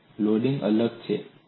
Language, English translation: Gujarati, The loading is different here